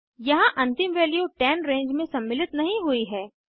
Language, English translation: Hindi, Here the end value 10 is not included in the range